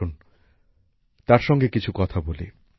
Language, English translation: Bengali, Come, let's talk to him